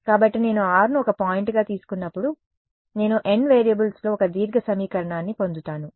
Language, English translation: Telugu, So, when I take r to be one point, I get one long equation in n variables